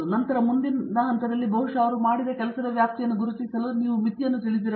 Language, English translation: Kannada, Then next stage maybe to identify the scope of the work he has done, you should know the limitation